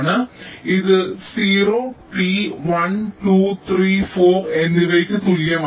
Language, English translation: Malayalam, so this t equal to zero, t equal to one, two, three, four and so on